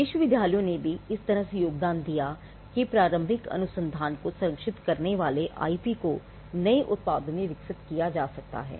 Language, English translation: Hindi, Universities also contributed in a way that the IP that protected the initial research could be developed into new products